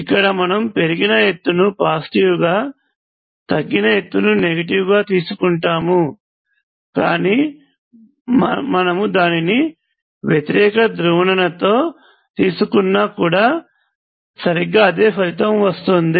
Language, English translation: Telugu, Here I have taken the height that is gained so that means that this is positive and that is negative, but you could also take it with opposite polarity and you will end up with exactly the same result